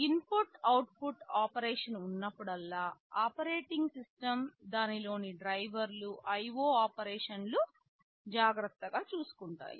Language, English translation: Telugu, Whenever there is an input output operation it is the operating system, the drivers therein who will be invoked to take care of the IO operations